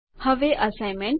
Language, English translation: Gujarati, Now to the assignment